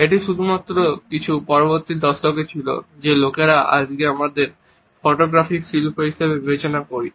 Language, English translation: Bengali, It was only in some preceding decades that people were experimenting with the basics of what we today consider as photography art